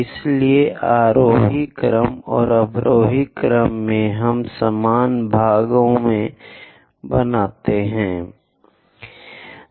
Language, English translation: Hindi, So, in the ascending order and descending order, we make equal number of parts